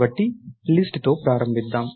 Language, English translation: Telugu, So, lets start with the list